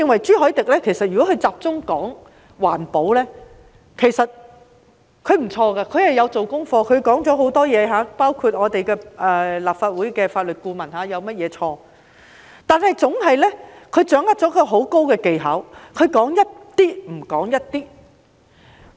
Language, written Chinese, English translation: Cantonese, 朱凱廸議員如果只集中討論環保，其實也不錯，他有做功課，提出很多問題，包括立法會法律顧問有甚麼錯，但他掌握了很高的技巧，他總是說一部分，而不說一部分。, Should Mr CHU Hoi - dick focus on environmental discussions it will be good for he has done his homework and raised lots of questions including those on the mistakes of the Legal Adviser . He is very tactful and will not tell all every time he speaks